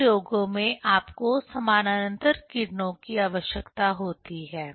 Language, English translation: Hindi, In many experiments you need parallel rays